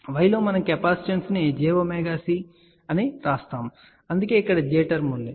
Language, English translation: Telugu, In y we write capacitance as j omega c, ok, so that is why there is a j term over here